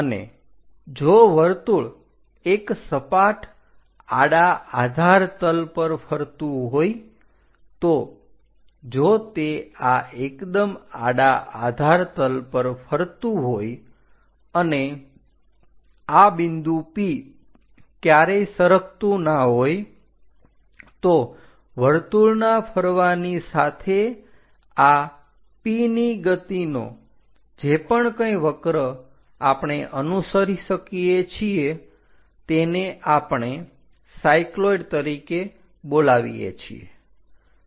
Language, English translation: Gujarati, And if the circle is rolling on a flat horizontal base, if it is rolling on these perfectly horizontal base and this P point never slips, then the motion of this P point as circle rolls whatever the curve tracked by that we call it as cycloid